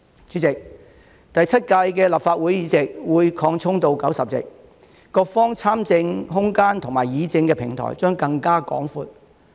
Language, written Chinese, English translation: Cantonese, 主席，第七屆立法會議席會擴充到90席，各方參政空間及議政的平台將更加廣闊。, President as the number of seats in the Seventh Legislative Council will be increased to 90 there will be more room for political participation and a broader platform for political deliberation by all parties